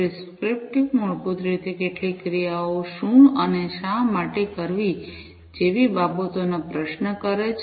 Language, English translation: Gujarati, Prescriptive basically questions things like, what and why to perform some of the actions